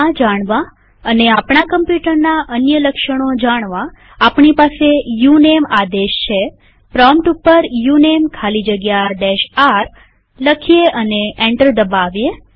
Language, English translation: Gujarati, To know this and many other characteristics of our machine we have the uname command.Type at the prompt uname space hyphen r and press enter